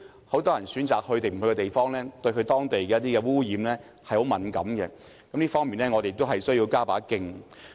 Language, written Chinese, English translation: Cantonese, 很多人選擇是否前往一個地方時，對當地的污染情況十分敏感，這方面我們同樣需要加把勁。, Many people are very conscious of the pollution level of a place when they make their travel plans . We have to put in more efforts as well in this regard